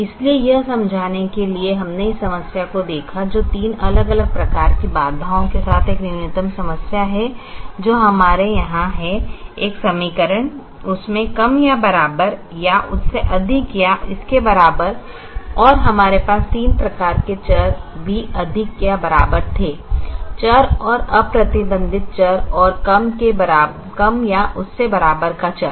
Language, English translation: Hindi, so to explain that, we looked at this problem, which is a minimization problem, with three different types of constraints that we have here an equation less than or equal to under greater than or equal, and we also had three types of variables: a greater than or equal to variable and unrestricted variable and a less than or equal to variable